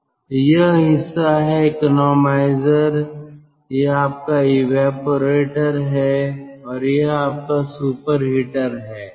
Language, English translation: Hindi, so this part is economizer, this is your evaporator and this is your superheated, this is the superheated